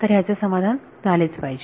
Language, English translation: Marathi, So, this has to be satisfied